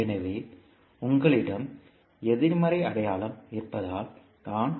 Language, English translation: Tamil, So, this is because you have the negative sign here